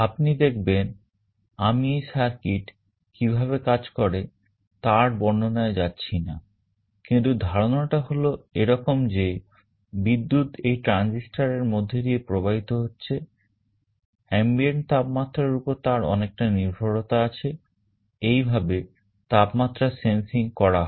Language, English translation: Bengali, You see I am not trying to explain how this circuit works, but the idea is that the currents that are flowing through the transistors there is a strong dependence on the ambient temperature that is how the temperature sensing is done